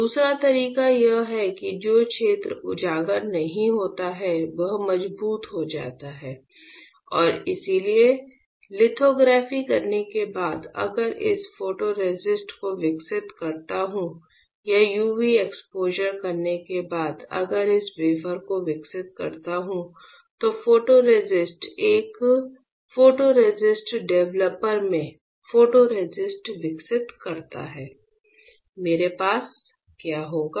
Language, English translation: Hindi, Another way is that the area which is not exposed will get stronger and that is why after the performing the lithography; if I develop this photoresist or after performing the UV exposure, if I develop this wafer develop the photoresist develop the photoresist in there in a photoresist developer what will I have